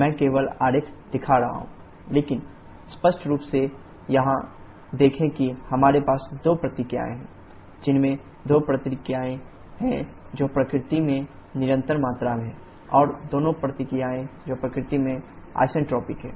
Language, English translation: Hindi, I am showing the Ts diagram only but in clearly see here we have two processes which have two processes which are constant volume in nature and two processes which are isentropic in nature